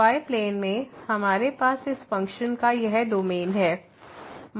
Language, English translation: Hindi, So, in the plane, we have this domain of this function